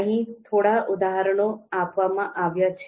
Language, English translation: Gujarati, So few examples are given here